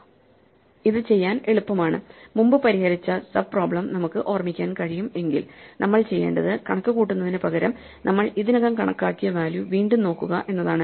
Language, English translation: Malayalam, This is easy to do, if we could only remember the sub problems that we have solved before, then all we have to do is look up the value we already computed rather than recompute it